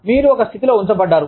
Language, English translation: Telugu, You are put in a position